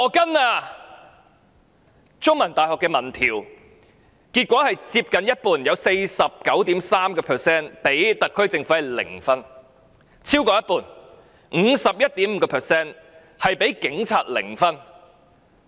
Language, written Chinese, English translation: Cantonese, 香港中文大學的民意調查結果，有接近一半的市民給特區政府零分；另外有超過一半的市民給警察零分。, The findings of a public opinion poll conducted by The Chinese University of Hong Kong revealed that almost half about 49.3 % of the public gave the SAR Government a zero score; whereas more than half 51.5 % of the public gave the Police a zero score